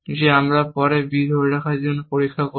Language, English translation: Bengali, That we will check for holding b later